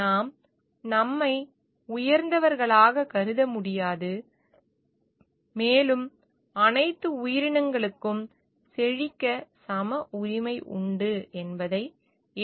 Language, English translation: Tamil, We cannot regard ourselves as superior, and should accept it all creatures have equal rights to flourish